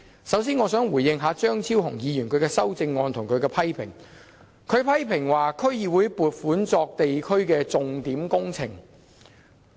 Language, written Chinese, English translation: Cantonese, 首先，我想回應一下張超雄議員的修正案，以及他對區議會撥款作社區重點項目計劃的批評。, First I would like to respond to Dr Fernando CHEUNGs amendment and also his criticisms about the allocation of fundings to DCs for implementing the Signature Project Scheme in the community